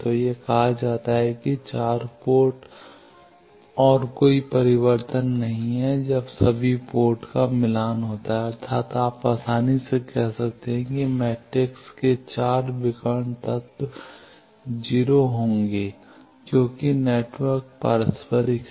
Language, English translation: Hindi, So, it is said that 4 ports and no reflection when all the ports are matched that means you can easily say that the 4 diagonal elements of the matrix will be 0 as network is reciprocal